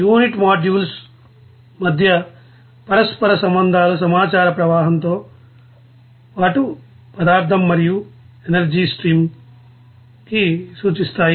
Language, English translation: Telugu, The interconnections between the unit modules may represent information flow as well as material and energy flow